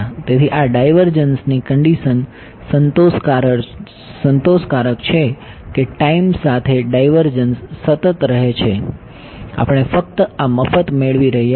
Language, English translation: Gujarati, So, this divergence condition being satisfied that the divergence remains constant with time we are just getting this for free right